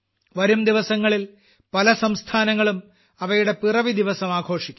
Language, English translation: Malayalam, In the coming days, many states will also celebrate their Statehood day